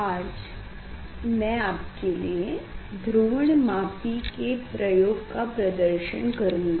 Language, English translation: Hindi, today I will demonstrate polarimetry experiment